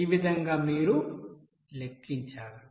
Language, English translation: Telugu, In this way you have to calculate